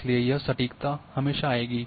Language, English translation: Hindi, So, this accuracy so will always come